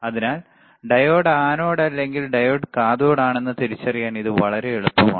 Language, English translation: Malayalam, So, this is very easy to identify the diode is anode or diode is cathode